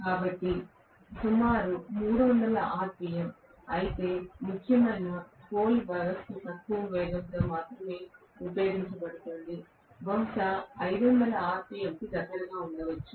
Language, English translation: Telugu, So about 3000 rpm, whereas the salient pole system is going to be used only in low speed, maybe close to 500 rpm